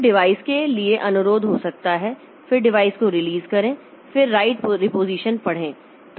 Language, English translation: Hindi, So, there may be request for device, then release a device, then read, write, reposition